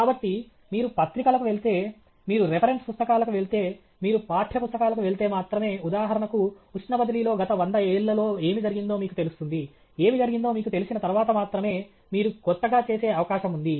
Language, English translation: Telugu, So, only if you go to journals, only if you go to reference books, only if you go to text books, for example, in heat transfer you will know what has been done in the last 100 years; only after you know what has been done, there is possibility for you to do something new